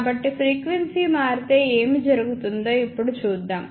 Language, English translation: Telugu, So, now let us see what happens if frequency changes